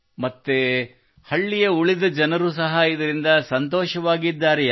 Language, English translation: Kannada, And the rest of the people of the village are also happy because of this